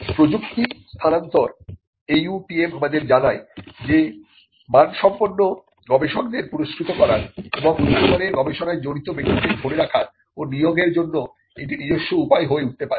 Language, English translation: Bengali, Transfer of technology the AUTM tells us can itself become a way to reward quality researchers and to also retain and recruit people who engage in high quality research